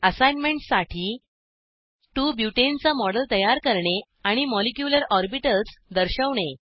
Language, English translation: Marathi, Here is an assignment Create a model of 2 Butene and display molecular orbitals